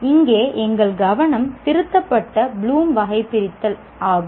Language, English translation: Tamil, Our focus here is what we call revised Bloom's taxonomy